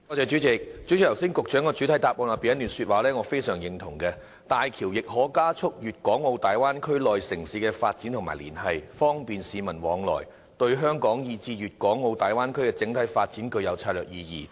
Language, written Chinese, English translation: Cantonese, 主席，局長剛才的主體答覆中，有一段說話我非常認同，"大橋亦可加速粵港澳大灣區內城市的經濟發展和連繫，方便市民往來，對香港以至粵港澳大灣區的整體發展具有策略意義"。, President I strongly with the remarks made by the Secretary in his main reply that HZMB will enhance the economic development and connections among the cities of Guangdong - Hong Kong - Macao Bay Area facilitate the movements of the people in the Bay Area and have strategic significance for the development of both Hong Kong and the Bay Area